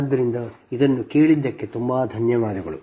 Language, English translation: Kannada, so thank you very much for listening this